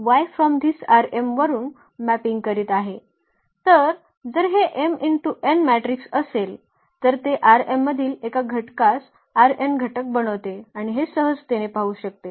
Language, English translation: Marathi, So, if this A is m cross n matrix then it maps element form R n to one element in R m and this one can see easily